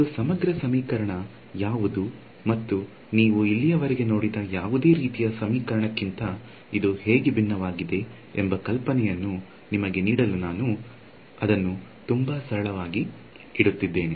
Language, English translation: Kannada, So, we will keep it very very simple to give you an idea of what exactly is an integral equation and how is it different from any other kind of equation you have seen so far right